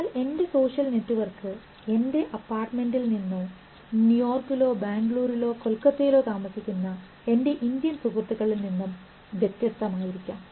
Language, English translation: Malayalam, But my social network may vary from my apartment to my friends, Indian friends living in New York or Bangalore or Calcutta